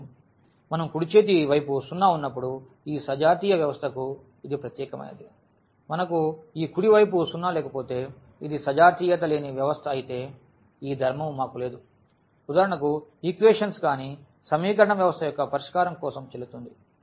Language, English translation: Telugu, So, that is special for this homogeneous system when we have the right hand side 0, if we do not have this right hand side 0; if it is a non homogeneous system we do not have this property these two properties for example, valid for the solution of non homogeneous system of equations